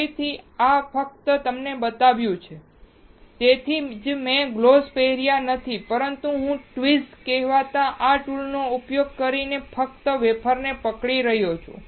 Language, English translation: Gujarati, Again, this is just to show you, that is why I am not wearing gloves, but I am just holding the wafer using this tool called tweezer